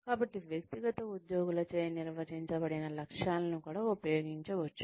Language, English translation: Telugu, So, one can also use the goals, that are defined by individual employees